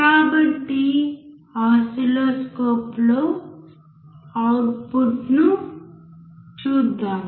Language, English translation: Telugu, So, let us see the output in the oscilloscope